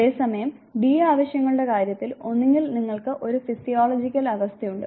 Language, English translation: Malayalam, Whereas, in the case of d needs you are either you know you have a given physiological state say